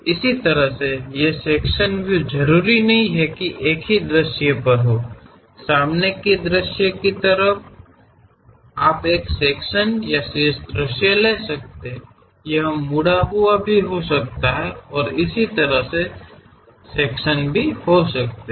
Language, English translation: Hindi, Similarly, these sectional views may not necessarily to be on one view; like front view you can take section or top view, it can be bent and kind of sections also